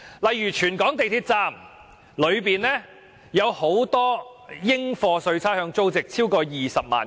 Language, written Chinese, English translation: Cantonese, 例如全港港鐵站內的櫃員機，其應課稅差餉租值合共20多萬元。, For example the total rateable value of all ATM machines in MTR stations in Hong Kong is over 200,000